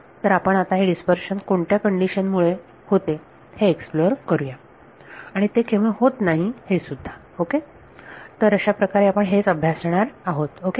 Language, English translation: Marathi, So, we will explore now under what conditions this numerical dispersion happens and when does it not happen ok; so, that is what we going to look at ok